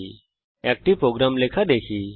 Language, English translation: Bengali, Let us see how to write such a program